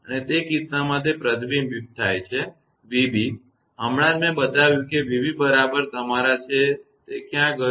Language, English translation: Gujarati, And in that case the reflected one that v b; just now i showed that v b is equal to your, where it is gone